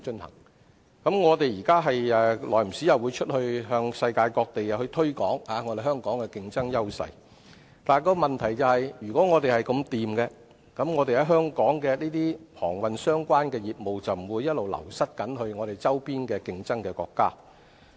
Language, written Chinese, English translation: Cantonese, 當局現在不時會前往世界各地推廣香港的競爭優勢，但如果我們的形勢確實這麼好，本港與航運相關的業務便不會不斷流失至我們周邊的競爭國家。, At present the authorities will go to places around the world to promote the competitive edges of Hong Kong from time to time . Yet if Hong Kongs situation is really that good our maritime - related businesses would not have lost our business to the counterparts in neighbouring countries